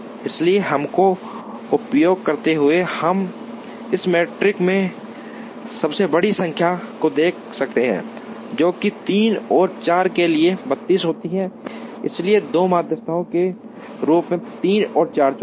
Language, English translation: Hindi, So, using this, we can look at the largest number in this matrix, which happens to be 32 for 3 and 4, so choose 3 and 4 as the two medians